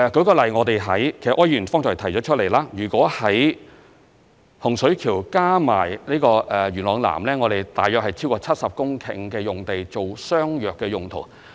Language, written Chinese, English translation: Cantonese, 舉例而言——柯議員其實亦有所提及——在洪水橋加上元朗南，我們有超過70公頃土地作相若用途。, For example―Mr OR has actually touched on this―in Hung Shui Kiu and Yuen Long South we have over 70 hectares of land for similar uses